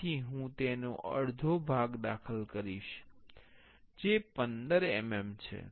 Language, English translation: Gujarati, So, I will enter half of that that is 15 mm